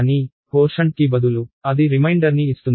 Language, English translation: Telugu, But, instead of putting the quotient it finds out the reminder